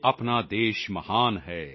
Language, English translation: Punjabi, Our country is great